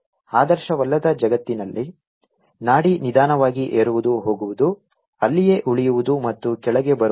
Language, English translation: Kannada, in non ideal world the pulse would be more like slowly rising, going, staying there and coming down